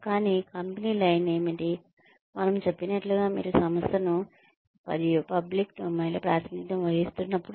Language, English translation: Telugu, But, what is the company line, as we say, when you represent the organization in, and in public domain